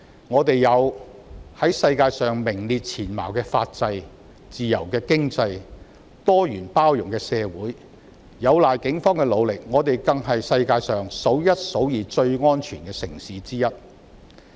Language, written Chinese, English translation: Cantonese, 我們有在世界上名列前茅的法制、自由的經濟及多元包容的社會；有賴警方的努力，我們更是世界上數一數二最安全的城市之一。, We have a legal system that ranks amongst the best of the world a free economy and a pluralistic and inclusive society; with the Polices efforts we are one of the safest cities in the world